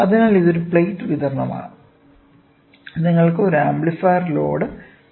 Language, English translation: Malayalam, So, this is a plate supply, you have an amplifier load